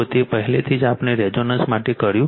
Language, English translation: Gujarati, Already we have done it for resonance